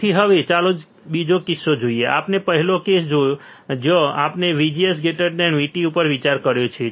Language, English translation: Gujarati, So, now, let us see another case, we have seen the first case right where we have considered where we have considered that VGS is greater than V T